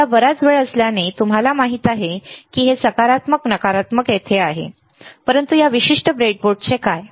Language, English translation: Marathi, Now because there is lot of time, you know, this positive negative is here, but what about this particular breadboard